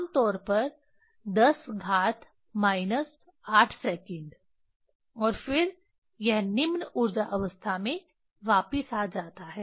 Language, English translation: Hindi, Generally 10 to the power minus 8 second and then it jump back to the lower energy state